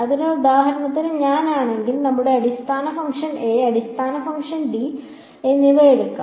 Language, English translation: Malayalam, So, if I for example, just let us just take basis function a and basis function d